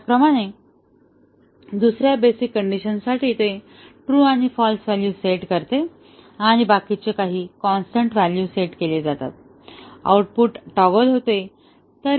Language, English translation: Marathi, Similarly, for the second basic condition as it assumes true and false values, and the rest are held at some constant value, the output toggles